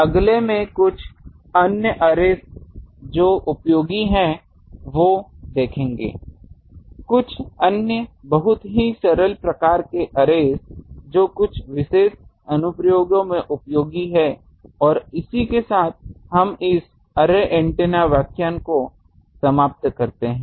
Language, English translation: Hindi, In the next, will see that some other arrays which are useful, some other very simple type of this arrays which are also useful in some particular applications and with that, we end this array antenna lecture